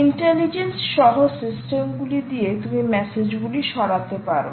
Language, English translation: Bengali, there is intelligence on the system to remove those messages